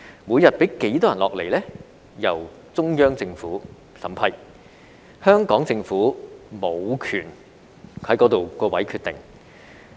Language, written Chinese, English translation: Cantonese, 每天讓多少人來港由中央政府審批，就此香港政府無權決定。, It is up to the Central Government to approve the number of daily arrivals and the Hong Kong Government has no say